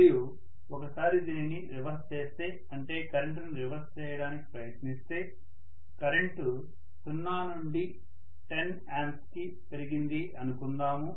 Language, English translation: Telugu, And once I reversed, I try to reverse the current, let us say the current has increased from 0 to 10 ampere